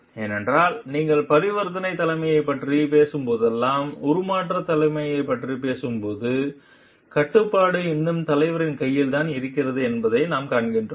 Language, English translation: Tamil, Because, when you are talking of transactional leadership whenever you are talking of transformational leadership what we find the control is still in the leader s hand